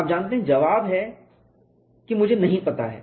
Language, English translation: Hindi, You know the answer is I do not know